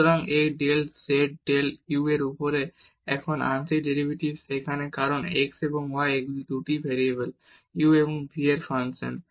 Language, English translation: Bengali, So, this del z over del u so now, the partial derivatives here because the x and y they are the functions of 2 variables u and v